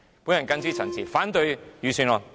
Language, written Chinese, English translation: Cantonese, 我謹此陳辭，反對預算案。, With these remarks I oppose the Budget